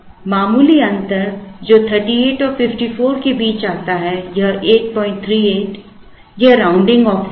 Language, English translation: Hindi, The slight difference comes between 38 and 54 is in the rounding off, this 8